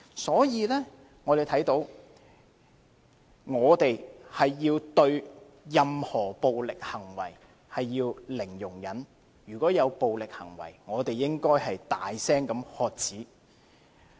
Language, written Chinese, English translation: Cantonese, 所以，我們要對任何暴力行為採取零容忍，如遇暴力行為，我們應大聲喝止。, And we should adopt a zero tolerance attitude towards violent acts . On coming across any act of violence we should shout aloud to stop it